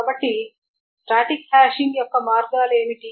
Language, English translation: Telugu, So what are the ways of static hashing